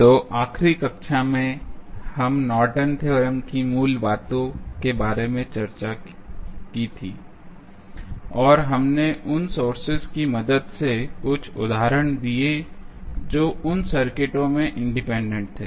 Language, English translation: Hindi, So, in the last class we discuss about the basics of Norton's theorem and we did some the examples with the help of the sources which were independent in those circuits